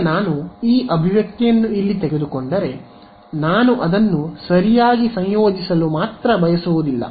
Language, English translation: Kannada, Now if I take this expression over here its not just this that I want I want to integrate it right